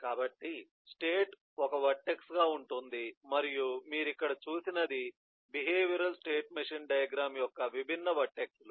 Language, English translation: Telugu, so that is how the eh state will be a vertex and so what you saw, there are the different vertices of a behavioral state machine diagram